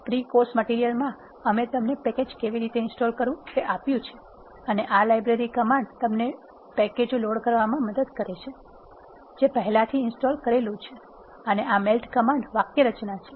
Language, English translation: Gujarati, In the pre course material we have given you how to install packages and this library command helps you do load the packages, that are already installed and this is the syntax of the melt comment